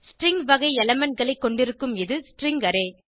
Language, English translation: Tamil, This is the string array which has elements of string type